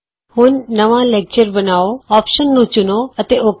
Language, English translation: Punjabi, Now, select the Create New Lecture option and click OK